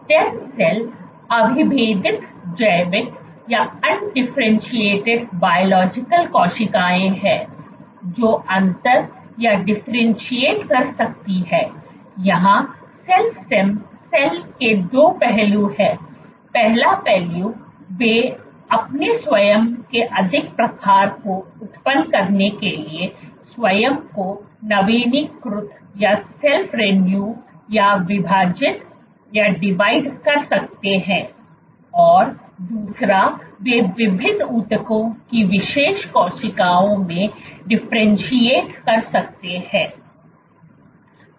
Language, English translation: Hindi, STEM cells are undifferentiated biological cells, you have cells which can differentiate, 2 aspects of cell STEM: they can self renew or divide to generate more of their own type and they can differentiate into specialized cells of different tissues